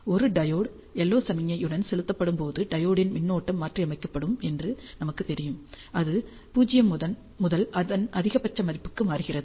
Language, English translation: Tamil, We know that when a diode is pumped with an LO signal, the diode current is modulated it changes right from 0 to its maximum value